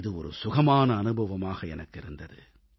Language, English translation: Tamil, It was indeed a delightful experience